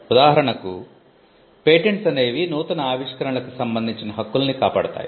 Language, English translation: Telugu, For instance, when we say patents protect inventions